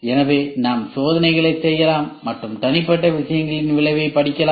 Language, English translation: Tamil, So, we can do experiments and we can study the effect of individual things